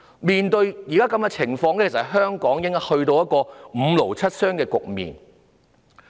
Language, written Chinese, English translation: Cantonese, 面對現時的情況，香港應該已"五勞七傷"。, Under the current circumstances Hong Kong should have already been ridden with injuries and impairments all over